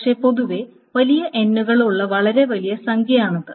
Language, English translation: Malayalam, But in general this is a very, very large number with large genes